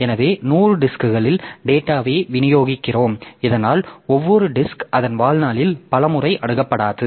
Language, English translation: Tamil, So, what we do is that we distribute the data across the 100 disk so that each disk is not accessed many times in its lifetime